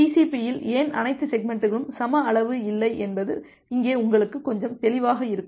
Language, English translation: Tamil, Here it will be little clear to you that why all the segments are not of equal size in TCP